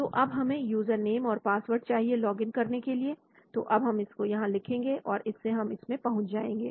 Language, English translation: Hindi, So we need to get in username, password so we write to them, they will give you access